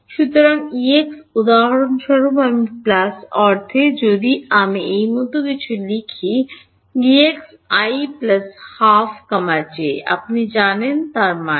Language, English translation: Bengali, So, E x for example, at i plus half if I write something like this E x at i plus half j you know; that means, right